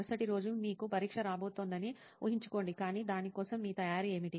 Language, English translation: Telugu, Imagine you have an exam coming up the next day, but what would be your preparation for it